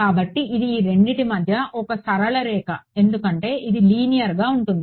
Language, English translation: Telugu, So, it is a and it is a straight line in between because it is linear right